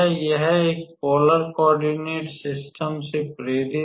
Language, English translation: Hindi, This is motivated from a polar coordinate system